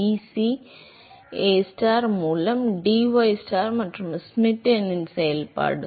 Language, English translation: Tamil, hm, DAB, dCAstar by dystar and that is a function of Schmidt number